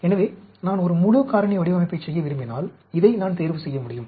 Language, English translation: Tamil, So, if I want to do a full factorial design, so, I will, I can select this